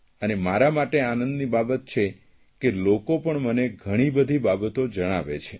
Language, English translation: Gujarati, And it is a matter of happiness for me that people share all the things with me